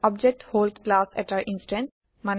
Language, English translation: Assamese, An object is an instance of a class